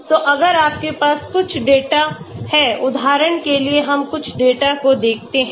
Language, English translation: Hindi, So if you have some data for example let us look at some data